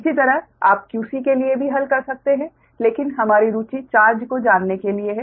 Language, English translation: Hindi, you can solve for q c, but our interest to find out the charge, right